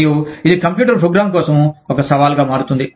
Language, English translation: Telugu, And, it becomes a challenge, for the computer program